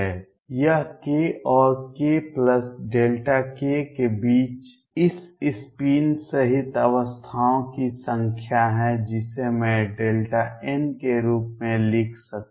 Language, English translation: Hindi, This is the number of states including this spin between k and delta k which I can write as delta n